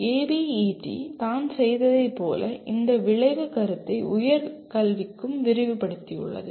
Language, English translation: Tamil, As ABET has done it has extended this outcome concept to higher education as well